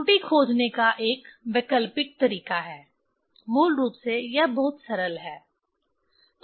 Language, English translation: Hindi, There is an alternative way to find the error this is basically it is very simple